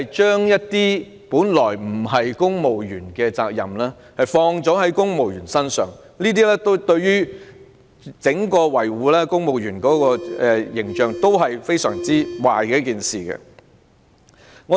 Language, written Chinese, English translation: Cantonese, 將本來不屬於公務員的責任放在公務員身上，對維護公務員的整體形象是非常壞的事情。, Assigning those tasks to civil servants that are initially beyond their duties is detrimental to safeguarding the overall image of civil servants